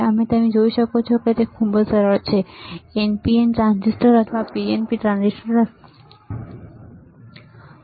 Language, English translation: Gujarati, You can see here, it is very easy, right NPN transistor or PNP transistor, right NPN, PNP transistor